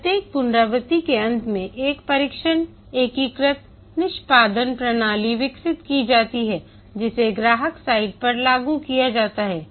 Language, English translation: Hindi, At the end of each iteration, a tested, integrated, executable system is developed deployed at the customer site